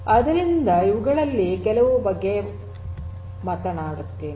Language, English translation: Kannada, So, let me talk about some of these